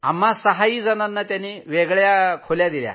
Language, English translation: Marathi, All six of us had separate rooms